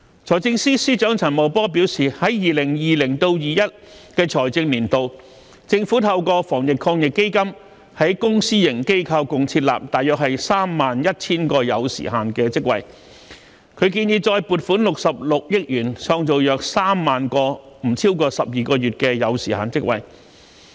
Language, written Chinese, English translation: Cantonese, 財政司司長陳茂波表示，在 2020-2021 財政年度，政府透過防疫抗疫基金在公私營機構共設立約 31,000 個有時限職位。他建議再撥款66億元，創造約3萬個不超過12個月的有時限職位。, The Financial Secretary Mr Paul CHAN said that in the financial year 2020 - 2021 the Government created about 31 000 time - limited jobs in the public and private sectors through the Anti - epidemic Fund and he proposed to further allocate 6.6 billion to create around 30 000 time - limited jobs for a period up to 12 months